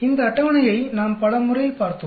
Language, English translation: Tamil, We have looked at these tables many times